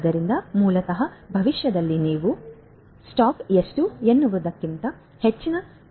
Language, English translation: Kannada, So, basically you know if in the future if you are going to get some more demands than what how much is the stock